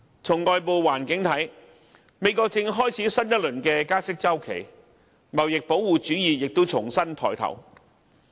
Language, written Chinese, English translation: Cantonese, 從外部環境來看，美國正開始新一輪加息周期，貿易保護主義亦重新抬頭。, Externally a new cycle of interest rate increases in the United States has started alongside a revival of trade protectionism